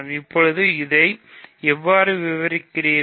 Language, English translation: Tamil, Now, how do you describe this